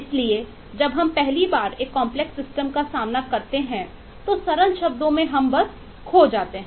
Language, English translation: Hindi, so when we are thrown into a complex system for the first time, uh to, to put it in simple terms, we get lost